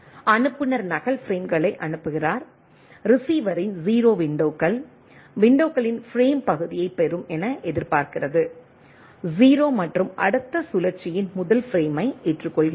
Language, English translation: Tamil, Sender sends duplicate frames 0 windows of the receiver expect receive frame part of the windows accept the 0 and the first frame of the next cycle